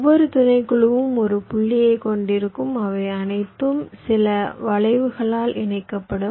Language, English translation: Tamil, each subset will consist of a single point and they will be all connected by some arcs